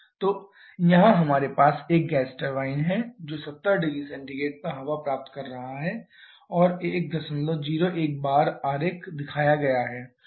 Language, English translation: Hindi, So, here we have a gas turbine which is receiving air at 70 degree Celsius and 1